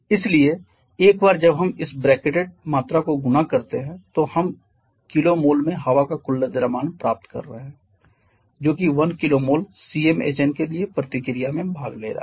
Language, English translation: Hindi, 28 kgs, so, once we multiply and dividing this bracketed quantity by a we are getting the total mass of air in kgs that is participating in reaction for one kilo mole of Cm Hn